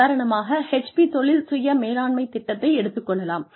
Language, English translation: Tamil, For example, the HP career self management program